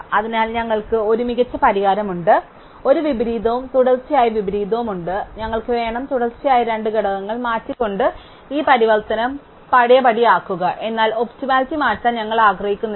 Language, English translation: Malayalam, So, we have an optimum solution, we have an inversion and an adjacent consecutive inversion, we want to undo this inversion by swapping those two consecutive elements, but we do not want to change the optimality